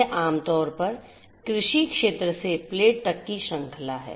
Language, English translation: Hindi, This is typically the chain from the agricultural field to the plate